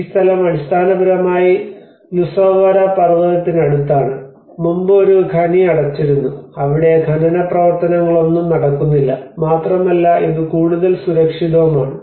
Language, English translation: Malayalam, This place is basically next to the Luossavaara mountain which was earlier a mine has been closed, and there is no mining activity going to happen there, and it is much more safer